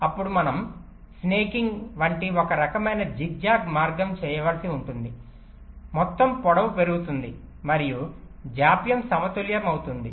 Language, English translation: Telugu, so then we may have to do something called snaking, some kind of zig zag kind of a path we may take so that the total length increases and the delay gets balanced